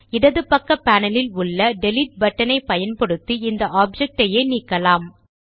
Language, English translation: Tamil, We can also delete this object, using the Delete button on the left hand panel